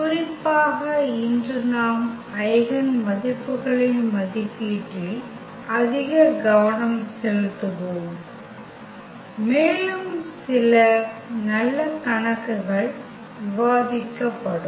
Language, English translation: Tamil, In particular today we will focus more on evaluation of the eigenvalues and some good worked out problems will be discussed